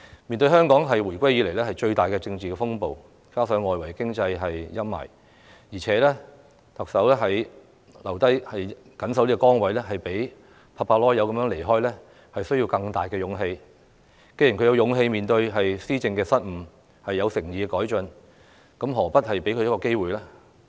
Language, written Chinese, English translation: Cantonese, 面對香港回歸以來最大的政治風暴，加上外圍經濟的陰霾，特首留下緊守崗位，比拍拍屁股離開需要更大的勇氣，既然她有勇氣面對施政的失誤，有誠意改進，何不給她一個機會？, Faced with the strongest political turmoil since the reunification and the shadow cast by the external economic conditions it actually takes the Chief Executive greater courage to stay commited to her post than simply quitting . Since she is courageous enough to face the blunders in administration and sincere in making improvements why do we not give her a chance?